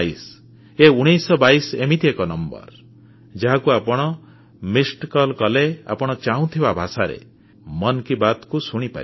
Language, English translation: Odia, This 1922 is one such number that if you give a missed call to it, you can listen to Mann Ki Baat in the language of your choice